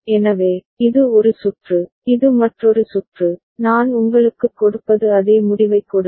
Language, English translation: Tamil, So, this is one circuit, this is another circuit I mean there giving you will give you the same result